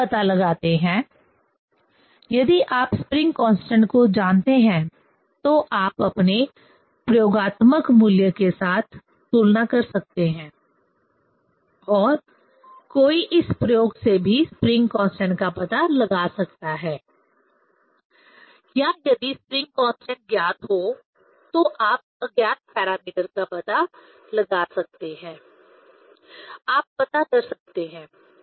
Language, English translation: Hindi, If you find out, if you know the spring constant, you can compare with your experimental value or one can find out the spring constant from this experiment also or if spring constant known one can find out the unknown parameter, one can find out